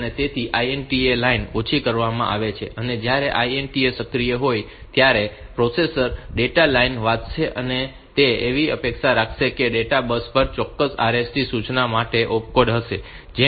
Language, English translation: Gujarati, INTA line is made low and when the INT is active the processor will read the data lines and it will expect that on the data bus there will be the opcode for a specific RST instruction